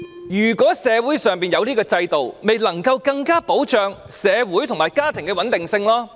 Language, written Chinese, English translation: Cantonese, 如果社會上有這個制度，便能更加保障社會與家庭的穩定性。, If there is such marriage institution in society it can better ensure social and family stability